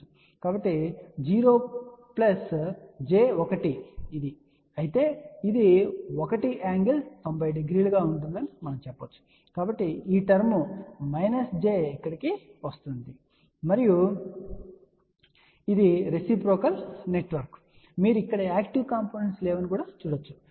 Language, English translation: Telugu, So, we know that 0 plus j 1 has nothing, but you can say that will have an angle of one angle 90 degree, so that is how this term minus j comes over here and since the network is reciprocal as you can see that there are noactive components over here